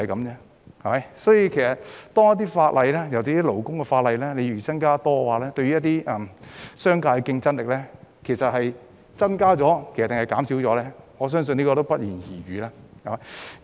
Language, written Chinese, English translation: Cantonese, 因此，如果制定的法例，尤其是勞工法例越多，商界的競爭力會增加還是減少，我相信是不言而喻。, Thus I believe it is not difficult to tell whether the competitiveness of the business sector will increase or decrease if more laws are enacted